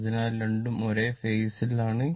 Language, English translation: Malayalam, So, both are in the same phase